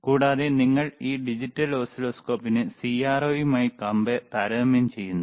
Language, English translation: Malayalam, Also, when you compare when you compare this digital oscilloscope with the with the CRO